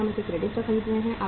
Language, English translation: Hindi, Are we buying it on credit